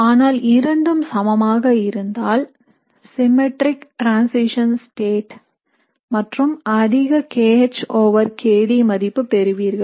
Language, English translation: Tamil, But when they are both equal, you have a symmetric transition state and you get maximum kH over kD